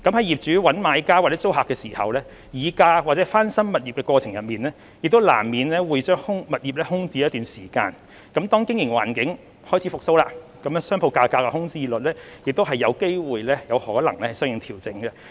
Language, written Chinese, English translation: Cantonese, 業主找買家或租客時，議價或翻新物業的過程中，難免會將物業空置一段時間，當經營環境開始復蘇，商鋪價格和空置率亦有機會相應調整。, Inevitably a property may be left vacant when the property owner looks for a new buyer or tenant or during price negotiation or property renovation . When the business environment starts to revive the vacancy rate of retail properties may adjust accordingly